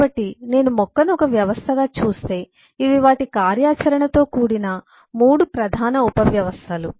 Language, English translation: Telugu, so if I look at the plant as a system, then these are the main 3 subsystems with their functionalities